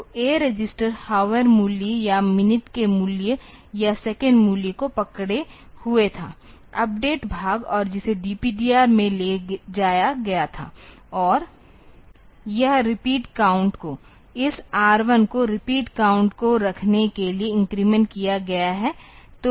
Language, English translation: Hindi, So, A register was holding the hour value or minute value or second value, the updated part and that is moved to the DPTR and this repeat count should; this R 1 has been incremented to hold the repeat count, so that has to be restored